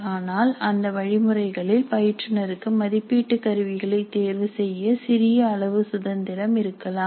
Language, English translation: Tamil, But within these guidelines certain freedom certainly is available to the instructor to choose the items which constitute the assessment instrument